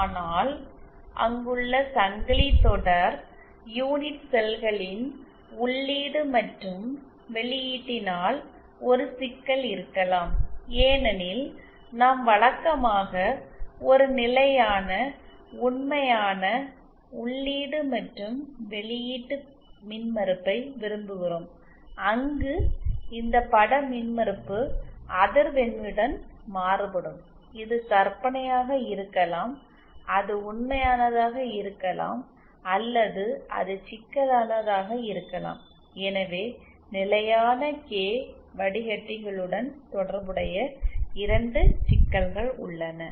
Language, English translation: Tamil, But at the input and the output of the entire chain of unit cells there that might be a problem because we prefer usually a constant real input and output impedance where as this image impedance keeps varying with frequency, it might be imaginary, it might be real or it might be complex, so to